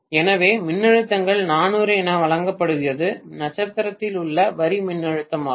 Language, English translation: Tamil, So, what is given as the voltages is 400 is the line voltage in Star